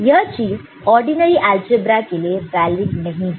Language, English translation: Hindi, This is similar to what you see in ordinary algebra